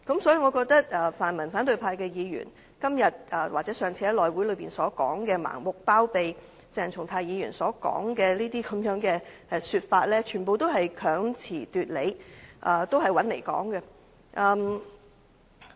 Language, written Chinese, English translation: Cantonese, 所以，我認為泛民反對派的議員今天或上次在內務委員會上盲目包庇鄭松泰議員的說法，全部都是強詞奪理、毫無道理。, Therefore I think the remarks made by Members in the opposition pan - democratic camp in an attempt to blindly shield Dr CHENG Chung - tai at this meeting or a previous meeting of the House Committee are all far - fetched arguments that could hardly hold water